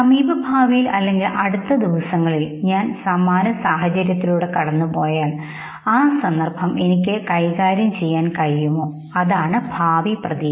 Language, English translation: Malayalam, If same situation I experienced in the near future, in the days to come would I be able to handle it, that is the future expectation